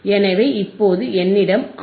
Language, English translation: Tamil, So, we have the R here right